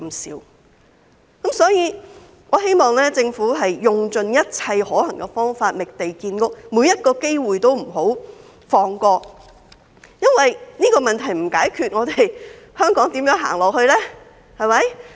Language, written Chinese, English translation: Cantonese, 所以，我希望政府用盡一切可行方法覓地建屋，每個機會都不要放過，因為這個問題不解決，香港又如何走下去呢？, Therefore I hope that the Government will explore all feasible methods to identify land for housing construction and that it will not let go of every opportunity . How can Hong Kong move forward if this problem remains unsolved?